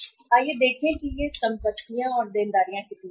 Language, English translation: Hindi, So let us see how much these assets and liabilities are